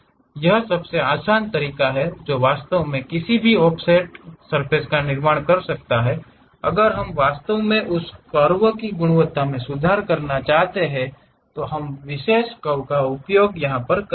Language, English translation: Hindi, This is the easiest way one can really construct any offset, if we want to really improve the quality quality of that curve, we use specialized curves